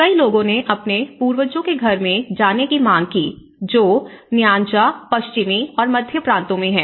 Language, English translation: Hindi, Many sought to move to their ancestral homes in Nyanza, Western and Central Provinces